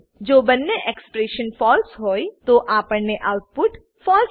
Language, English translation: Gujarati, Since both the expressions are true, we get output as true